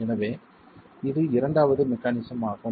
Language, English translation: Tamil, Okay, so that's the second mechanism, the third mechanism